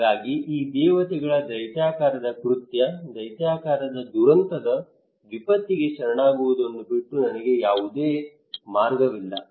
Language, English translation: Kannada, So I have no way but to surrender this gigantic its a gods act, gigantic catastrophic disaster